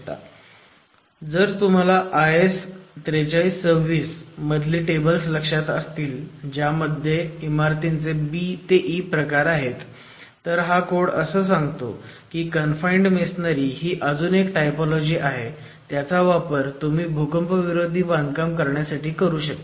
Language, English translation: Marathi, So, if you remember the IS 4 3 to 6 tables where you have category B to category E, this code is then saying that confined masonry is another typology that you can use to construct earthquake resistant masonry constructions